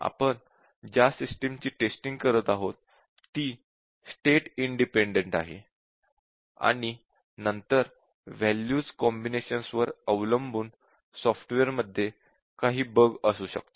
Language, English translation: Marathi, The system that we are testing is state independent and then depending on the combinations of the values there can be bugs in the software